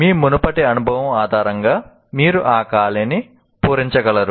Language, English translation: Telugu, So you will be able to, based on your prior experience, you will be able to fill in that gap